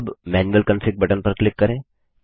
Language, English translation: Hindi, Now, click on the Manual Config button